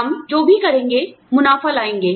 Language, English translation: Hindi, Whatever we do, will bring profits